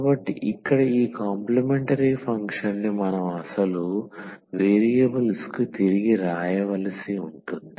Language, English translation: Telugu, So, here this complementary function we have to write down back to the original variables